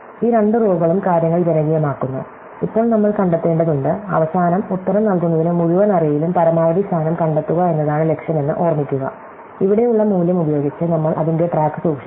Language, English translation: Malayalam, So, these two lines just populate things, now we have to find, remember the goal is to find the maximum position in the entire array in order to give the answer finally, so we just keep track of that with the value here